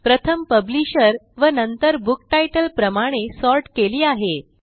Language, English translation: Marathi, Here are the books, first sorted by Publisher and then by book title